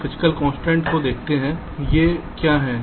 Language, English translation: Hindi, so the physical constraint, let see what these are